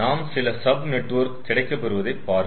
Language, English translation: Tamil, so you see, we are getting some sort of sub network